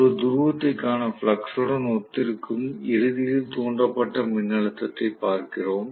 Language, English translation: Tamil, So, we are looking at the voltage, ultimately induce which corresponds to flux per pole, right